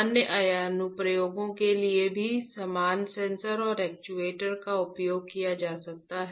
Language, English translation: Hindi, The same sensors and actuators can be used for other applications as well